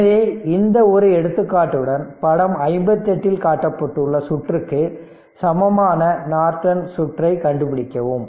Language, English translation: Tamil, So, with this just one example, determine Norton equivalent circuit of the circuit shown in figure 58